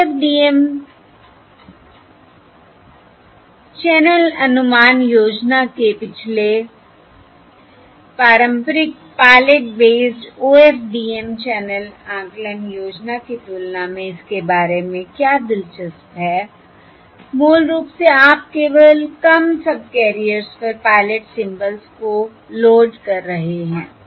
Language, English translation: Hindi, what is what is interesting about this um um in comparison to the previous conventional pilot based OFDM channel estimation scheme is basically you are loading pilot symbols only onto fewer subcarriers